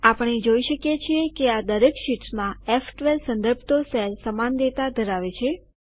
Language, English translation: Gujarati, We see that in each of these sheets, the cell referenced as F12 contains the same data